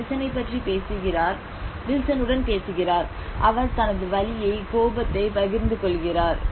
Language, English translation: Tamil, Here he talks about, he cares about Wilson, he talks about Wilson, he talks with Wilson, he shares his pain, anger everything with him